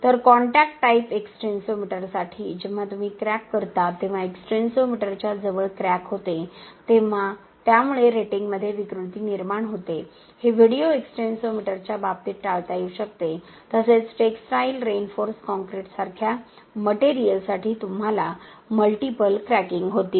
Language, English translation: Marathi, So, for a contact type extensometer when you crack when you have crack near to the extensometer it causes distortion in the ratings, this can be avoided in cases of video extensometer, also for a material like textile reinforced concrete you will have multiple cracking that is happening in the gauge length and that can be very well captured by the video extensometer